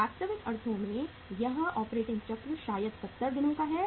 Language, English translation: Hindi, In the real sense this operating cycle maybe of 70 days